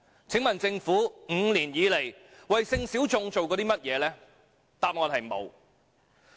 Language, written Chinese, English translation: Cantonese, 請問政府 ，5 年以來，為性小眾做過甚麼？, May I ask the Government in five years what it has done for sexual minorities?